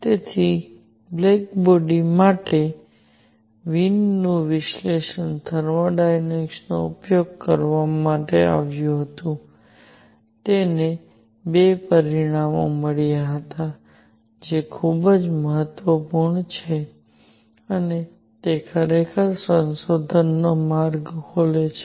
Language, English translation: Gujarati, So, Wien’s analysis for the black body radiation was carried out using thermodynamics and he got 2 results which are very very important and that actually open the way for the research